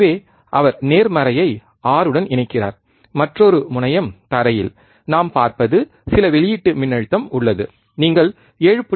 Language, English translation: Tamil, So, he is connecting the the positive to 6, and the another terminal to ground, what we see there is some output voltage, you can see 7